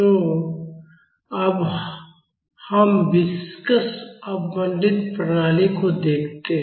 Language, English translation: Hindi, So, now, let us look at a viscously damped system